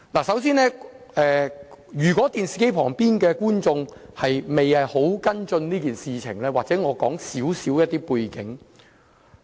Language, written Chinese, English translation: Cantonese, 首先，如果電視機旁的觀眾未有跟進這件事，或許我先簡述一下背景。, To begin with let me briefly explain the background of the incident in case people watching the television broadcast have no idea about the incident